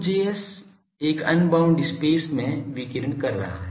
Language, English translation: Hindi, So, 2 Js is radiating into an unbounded space